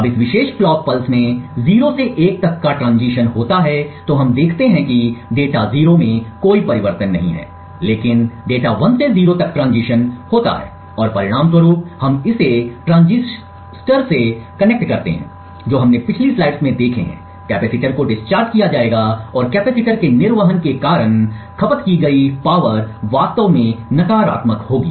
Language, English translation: Hindi, Now in this particular clock pulse when there is a transition from 0 to 1 in this particular clock pulse what we see is that there is no change in data 0 but data 1 transitions from 1 to 0 and as a result if we connect this to the transistors what we have seen in the previous slide, the capacitor would be discharged and the power consumed would be actually negative because of the discharging of the capacitor